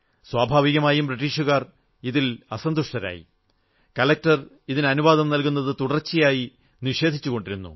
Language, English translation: Malayalam, The British were naturally not happy with this and the collector continually kept denying permission